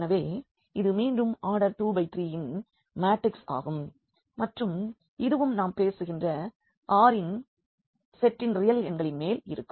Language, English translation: Tamil, So, this will be again a matrix of order 2 by 3 and this is also over this R set of real numbers we are talking about